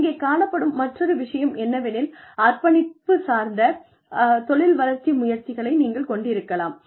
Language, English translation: Tamil, The other thing, here is, you could have commitment oriented, career development efforts